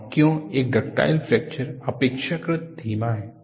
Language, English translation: Hindi, And why a ductile fracture is relatively slow